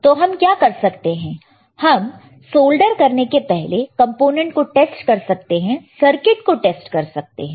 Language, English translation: Hindi, That is why what we can do we can test this component test this circuit before we do the soldering